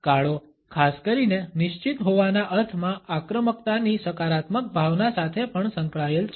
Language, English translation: Gujarati, Black particularly is also associated with a positive sense of aggression in the sense of being assertive